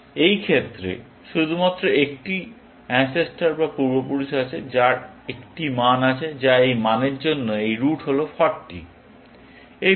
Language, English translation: Bengali, In this case, then, only one ancestor, which has a value, which is this root for this value is 40